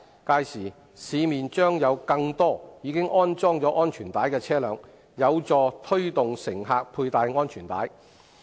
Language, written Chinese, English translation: Cantonese, 屆時，市面將有更多已安裝安全帶的車輛，有助推動乘客佩戴安全帶。, By then more vehicles with seat belts installed will be available to encourage passengers to wear seat belts